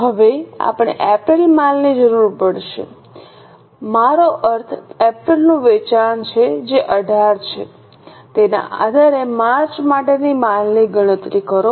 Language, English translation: Gujarati, Now, we will need the inventory of April, I mean sale of April which is 18 based on that compute the inventory for March